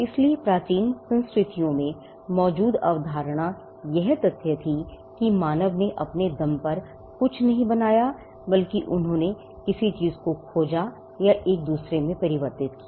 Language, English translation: Hindi, So, the concept that existed in ancient cultures was the fact that human beings did not create anything on their own rather they discovered or converted 1 form of thing to another